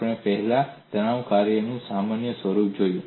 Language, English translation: Gujarati, We have already seen a generic form of stress function